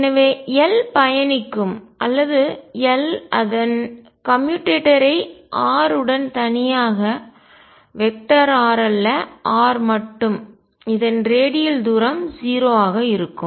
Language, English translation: Tamil, So, L would commute or its commutator with any function of r alone not r vector r alone the radial distance is going to be 0